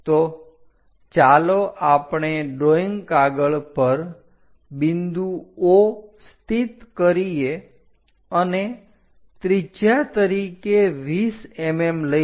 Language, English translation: Gujarati, So, let us locate the points O on the drawing sheet 20 mm as radius